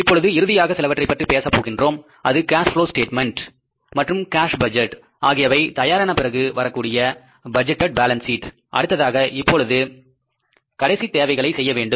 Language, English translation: Tamil, Now finally we talk about something which is the budgeted balance sheet that after that cash cash flow statement is ready, cash budget is ready, our operating budget is ready, then what is now the final thing to be done